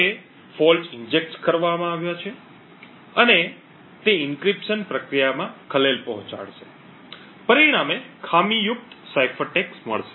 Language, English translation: Gujarati, Now the fault is injected and it would disturb the encryption process resulting in a faulty cipher text